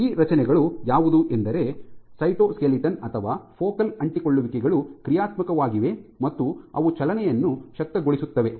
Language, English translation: Kannada, These structures: the cytoskeleton or focal adhesions they are dynamic, that is how the enable movement